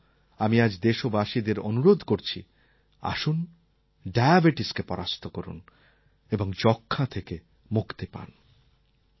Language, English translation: Bengali, So I call upon all of you today to defeat Diabetes and free ourselves from Tuberculosis